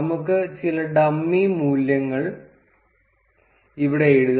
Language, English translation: Malayalam, Let us write some dummy values here